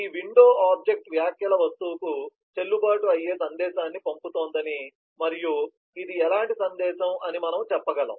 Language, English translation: Telugu, we can say that this window object is sending a validate message to the comments object and what kind of message is this